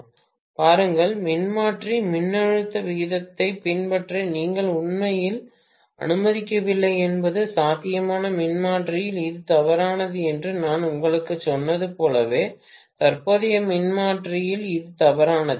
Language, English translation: Tamil, See, the thing is that you are really not allowing the transformer to follow the voltage ratio at all just like how I told you that in potential transformer this is invalid, in current transformer this is invalid